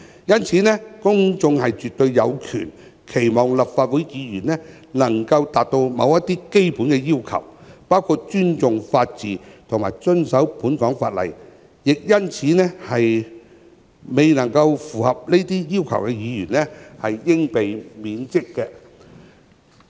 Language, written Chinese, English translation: Cantonese, 因此，公眾絕對有權期望立法會議員能達到某些基本的要求，包括尊重法治及遵守香港法例。因此，未能符合這些要求的議員，應被免職。, Therefore the public have every right to expect Members of the Legislative Council to meet certain minimum requirements including being respectful of the rule of law and abiding by the laws of Hong Kong and failing which they should be removed from office